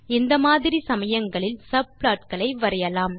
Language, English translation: Tamil, In such cases we can draw subplots